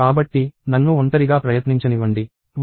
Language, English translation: Telugu, So, let me try it alone – 1233